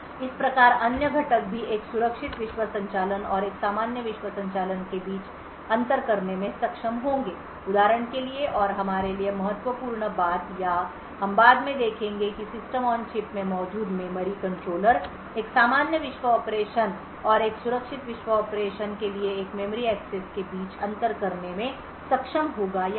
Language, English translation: Hindi, So thus other components would also be able to distinguish between a secure world operation and a normal world operation so for example and important thing for us or we will see later is that memory controller present in the System on Chip would be able to distinguish between memory access which is made to a normal world operation and a memory access made to a secure world operation